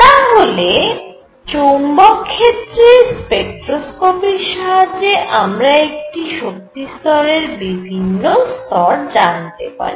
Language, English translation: Bengali, So, through spectroscopy of atoms in magnetic field, we can find out a number of levels in an energy level, in an energy state